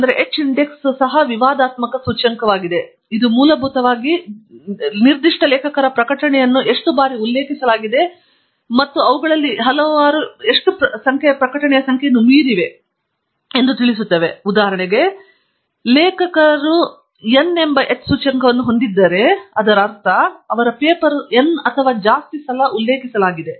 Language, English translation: Kannada, h index is something again a controversial index; it basically refers to how many times a particular author’s publications have been cited and how many of them exceed the number of publications; that is, basically when we say that an author has an h index of say n, then he has n papers that are cited n times or more